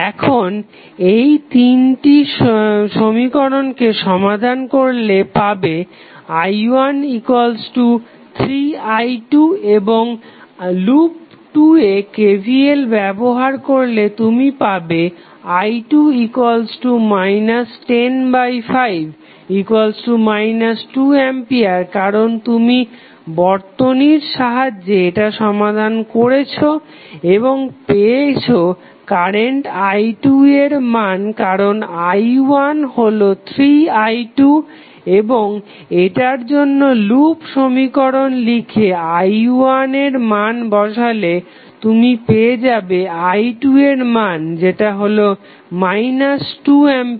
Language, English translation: Bengali, Now, if you use these three equations and solve it you will get i 1 is equal to 3i 2 and using KVL in loop 2 you will simply get i 2 is nothing but minus 10 divided by 5 because you solve it with the help of the circuit and you get the value of current i 2 because i 1 is nothing but 3i 2 and you write the loop equation for this, this is what you have used in case of mesh two put the value of i 1 here, solve it you will get i 2 is nothing but minus 2 ampere